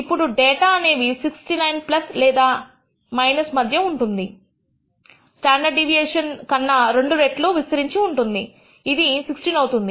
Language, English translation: Telugu, 5, then you can say that the data will spread typically between 69 plus or minus 2 times the standard deviation which is 16